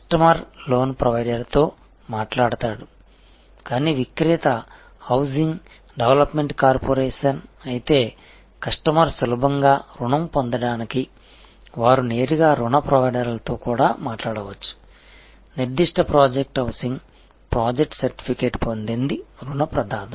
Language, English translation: Telugu, The customer will talk to the loan provider, but the seller if it is a housing development corporation, they may also talk directly to the loan provider to see that the customer gets the loan easily, the particular project, the housing project is certified by the loan provider